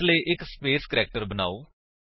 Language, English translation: Punjabi, So, let us create a space character